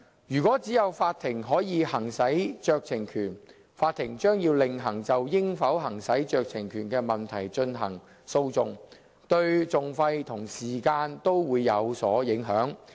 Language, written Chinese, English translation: Cantonese, 如果只有法庭可以行使酌情權，法庭將要另行就應否行使酌情權的問題進行訴訟，對訟費和時間均會有所影響。, Conferring the discretion solely on the court would have costs and time implication as the question of whether the discretion should be exercised would have to be separately litigated in the court